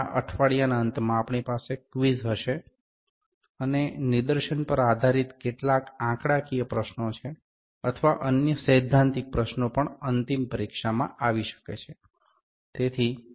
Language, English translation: Gujarati, And we will have the quiz in the end of this week, and there is some questions, some numerical questions of based upon the demonstrations or the other questions theoretical questions might also come in the final exam as well, so